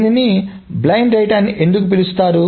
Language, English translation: Telugu, Why is it called a blind right